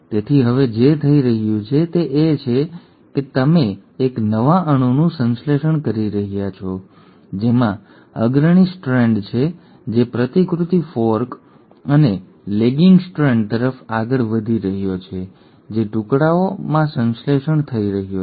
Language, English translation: Gujarati, So what is happening now is that you are getting a new molecule synthesised, with the leading strand which is moving towards the replication fork and a lagging strand which is getting synthesised in bits and pieces